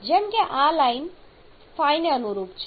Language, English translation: Gujarati, Like this line is correspondence to some phi